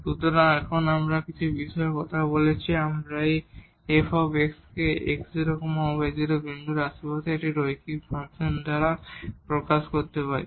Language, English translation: Bengali, So, but here now we are talking about that if we can express this f x by a linear function in the neighborhood of x naught y naught point